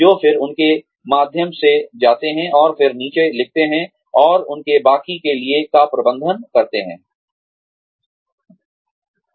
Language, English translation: Hindi, Who then, go through them, and then write down, and manage the rest of their careers